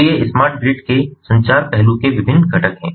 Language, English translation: Hindi, so these are the different components of the communication aspect of smart grid